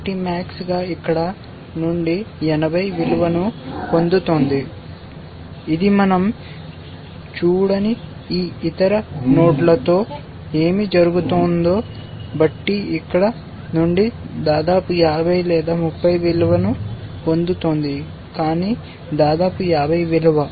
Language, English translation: Telugu, So, max is getting a value of 80 from here it is getting a value of utmost 50 or 30 from here depending on what happens in these other nodes which we have not seen, but utmost the value of 50